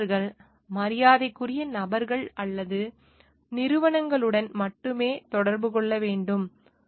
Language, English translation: Tamil, Engineers shall associate only with reputable persons or organisations